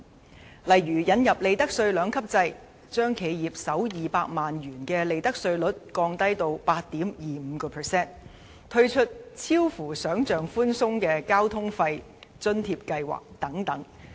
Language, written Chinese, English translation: Cantonese, 其中的例子包括：引入利得稅兩級制、將企業首200萬元的利得稅率降至 8.25%、推出出奇地寬鬆的交通費津貼計劃等。, Examples include the introduction of a two - tier profits tax system where the profits tax rate for the first 2 million of profits of enterprises will be lowered to 8.25 % and the introduction of the surprisingly lenient non - means tested Public Transport Fare Subsidy Scheme